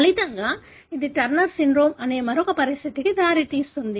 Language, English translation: Telugu, As a result, it results in another condition called Turner Syndrome